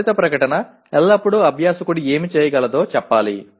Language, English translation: Telugu, The outcome statement should always say what the learner should be able to do